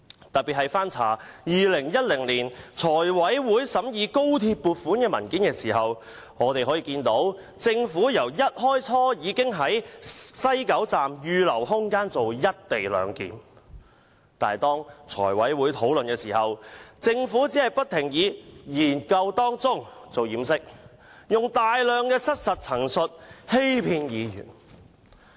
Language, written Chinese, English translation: Cantonese, 特別是翻查2010年財務委員會審議高鐵工程撥款的文件後，我們得悉政府一開始已在西九龍站預留空間進行"一地兩檢"，但在財委會討論時，政府只是不停以"研究當中"作為掩飾，以大量失實陳述來欺騙議員。, Having checked the papers of the Finance Committee on examining the funding for the XRL project we learnt that the Government had reserved space in the West Kowloon Station for the co - location arrangement at the outset . Yet during the discussion at the meetings of the Finance Committee the Government kept using under study as a disguise and a whole host of false statements to deceive Members